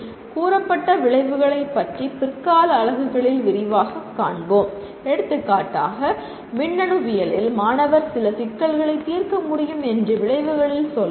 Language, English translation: Tamil, Your stated outcomes which we will see in great detail in the later units, if the outcome for example considers the student should be able to solve certain problems let us say in electronics